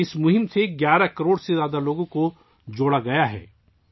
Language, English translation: Urdu, More than 11 crore people have been connected with this campaign